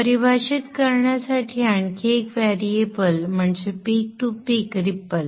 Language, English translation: Marathi, Another variable to define is the peak to peak ripple